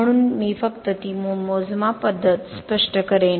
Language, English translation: Marathi, So I will just explain that measurement method